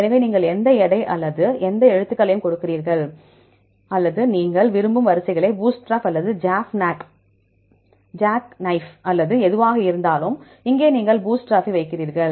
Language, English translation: Tamil, So, you have give any weight or any characters or you can see the sequences, which type of settings you want, bootstrap or jackknife or whatever, right here you put the bootstrap